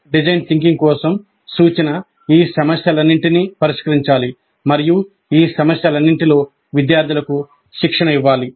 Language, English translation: Telugu, So instruction for design thinking must address all these issues and train the students in all of these issues